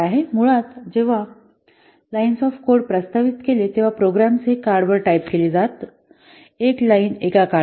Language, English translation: Marathi, Basically, this line of code was proposed when programs were typed on cards with one line per card